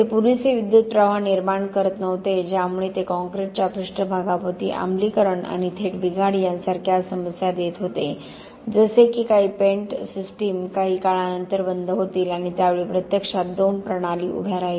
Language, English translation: Marathi, They weren’t producing enough current that they were giving other problems like acidification around the surface of the concrete and of direct failure like some of the paint systems would flake off after a while and at that time only two systems actually, stood out